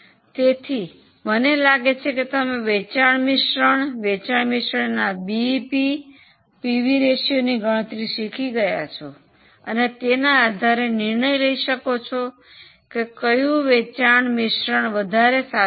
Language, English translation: Gujarati, Okay, so I hope you have understood now the concept of sales mix and how you calculate BEP of the sales mix or pv ratio of sales mix and based on that how to take decision on which sales mix is superior